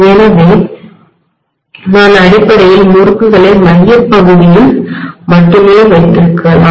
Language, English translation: Tamil, So I may have basically the winding rather put up only here in the central portion